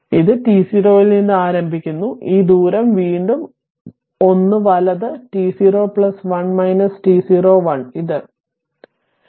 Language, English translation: Malayalam, So, it is starting from t 0 and this distance again your this distance is again 1 right, t 0 plus 1 minus t 0 1 this1